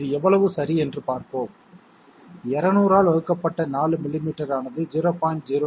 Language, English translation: Tamil, Let us see how much it is that is right, 4 millimetres divided by 200 is equal to 0